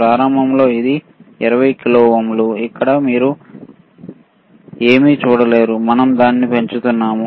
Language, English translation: Telugu, Initially it was 20 kilo ohm, here you cannot see anything so now, we are increasing it, right